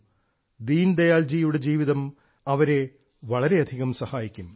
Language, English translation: Malayalam, Deen Dayal ji's life can teach them a lot